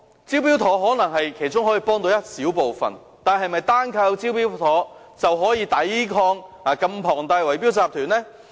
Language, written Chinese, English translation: Cantonese, "招標妥"可能只可以幫助其中一小部分人，但單靠"招標妥"是否便可以抵抗這麼龐大的圍標集團呢？, The Smart Tender scheme may be helpful to only a small number of people but is it possible to fend off these massive bid - rigging syndicates by relying on the Smart Tender scheme alone?